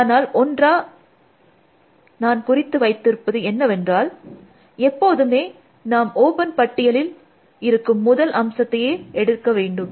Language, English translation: Tamil, So, one thing I have pin down is, that we will always take the first element from the open list